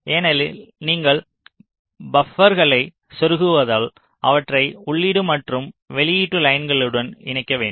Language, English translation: Tamil, because you are inserting the buffers, you have to connect them to the input and output lines